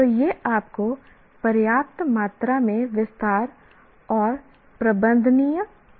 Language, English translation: Hindi, So, this gives you sufficient amount of detail and yet manageable